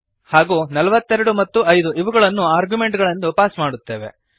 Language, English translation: Kannada, And we pass 42 and 5 as arguments